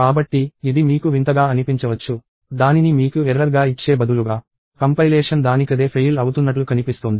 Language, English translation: Telugu, So, it may sound bizarre to you, instead of giving it to you as an error; the compilation itself seems to be failing